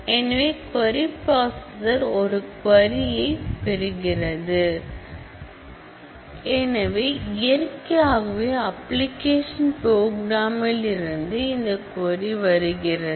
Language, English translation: Tamil, So, the query processor gets a query and so that naturally, this query comes from the application program